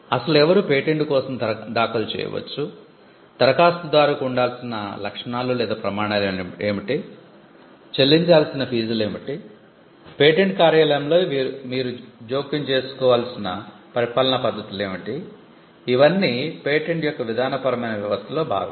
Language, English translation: Telugu, Now, who can file a patent, what should be the criteria for an applicant, what should be the fees that should be paid, what are the administrative methods by which you can intervene in the patent office, these are all procedural aspects of the patent system